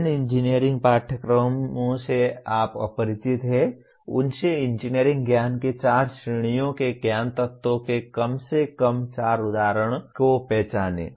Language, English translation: Hindi, Identify at least four examples of knowledge elements from the four categories of engineering knowledge from the engineering courses you are familiar with